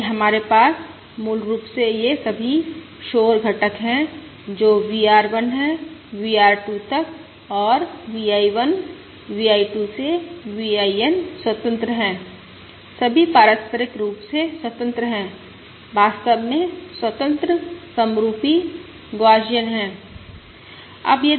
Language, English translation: Hindi, Therefore, what we have is basically all these noise components, that is, VR1, VR2 up to VRN and V I 1, V I 2 up to VIN, are independent, are all mutually independent, in fact independent, identical, Gaussian